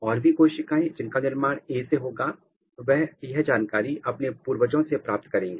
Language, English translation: Hindi, And, the cells which are being generated from the A, they will carry this information from the ancestor